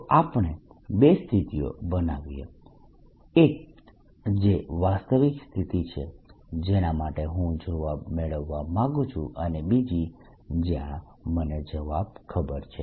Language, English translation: Gujarati, so we create two situations: one which is the real situation, the, the answer, one which for which i want to get the answer, and the other where i know the answer